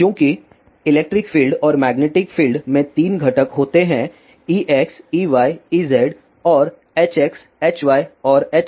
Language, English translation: Hindi, Since electric field and magnetic field has 3 components E x, E y, E z and H x, H y and H z